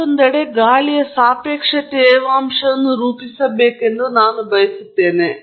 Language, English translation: Kannada, On the other hand, let us say, I want to model the relative humidity of air